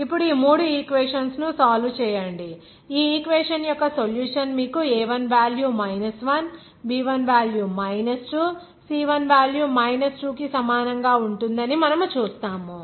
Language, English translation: Telugu, Now solve these three equations, you will see that the solution of this equation should give you that a1 value will be equal to 1 b1 will be equal to 2 and c1 will be equal to 2